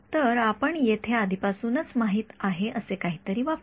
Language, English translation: Marathi, So, we can use something that we already know towards over here ok